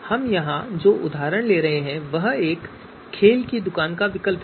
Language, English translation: Hindi, So the example that we are taking here is a choice of a sport shop